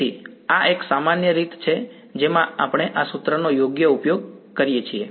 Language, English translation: Gujarati, So, this is a typical way in which we can use this formula right